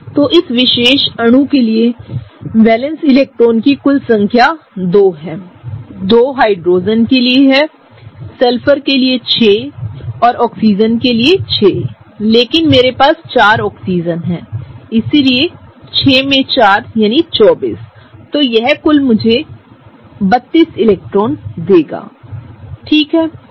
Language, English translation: Hindi, So, the total number of valence electrons for this particular molecule is 2 for the Hydrogen’s, 6 for the Sulphur and 6 for the Oxygen; but I have 4 of them, so 6 into 4 that is 24; this will give me a total of 32 electrons, right